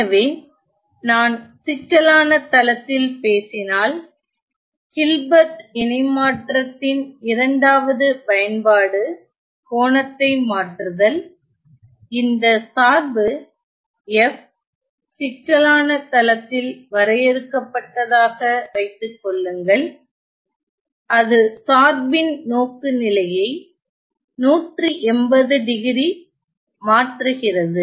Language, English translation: Tamil, So, if I were to talk in complex plane one two applications of Hilbert transform is shifting the angle of if suppose this function f was defined on the complex plane it is shifting the orientation of the function by 180 degrees